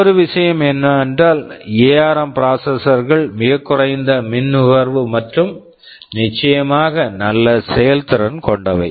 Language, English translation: Tamil, Now another thing is that this ARM processors they have very low power consumption and of course, reasonably good performance